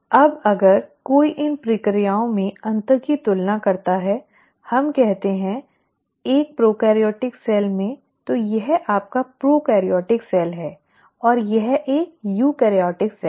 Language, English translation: Hindi, Now if one were to compare the differences in these processes, let us say in a prokaryotic cell; so this is your prokaryotic cell and this is a eukaryotic cell